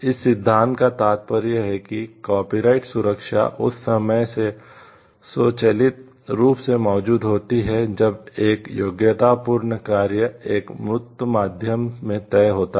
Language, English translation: Hindi, This principle implies that copyright protection exist automatically from the time a qualifying work is fixed in a tangible medium